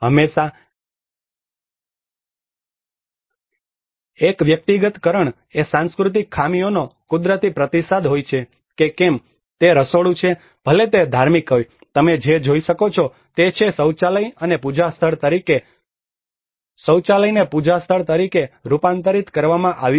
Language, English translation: Gujarati, There is always a personalization is a natural response to the cultural deficiencies whether it is a kitchen, whether it is a religious, what you can see is a toilet has been converted as a worship place